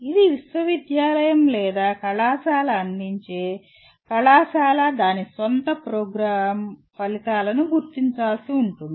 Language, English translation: Telugu, It is for the university or the college offering the program will have to identify its own program outcomes